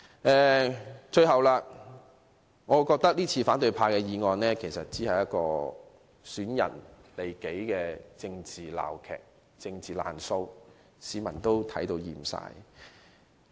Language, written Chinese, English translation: Cantonese, 反對派今次提出的議案，只是損人利己的政治鬧劇、政治"爛數"，市民已看厭了。, This motion initiated by the oppositionists is just a political farce or political bad debt which serves to benefit themselves at the expense of others . People are sick of it